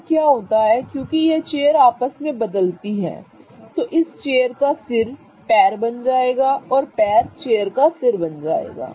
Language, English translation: Hindi, Now, what happens as this chair interconverts is that the head will become the leg of the chair and the leg will become the head of the chair